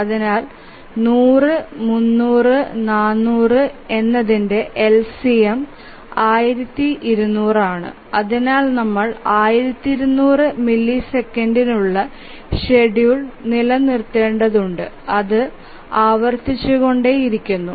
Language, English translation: Malayalam, So, 100, 200 and so sorry 100, 300 and 400 the LCM is 1200 and therefore we need to maintain the schedule for 1,200 milliseconds and then keep on repeating that